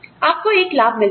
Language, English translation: Hindi, You get a profit